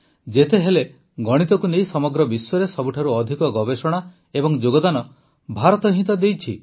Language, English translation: Odia, After all, the people of India have given the most research and contribution to the whole world regarding mathematics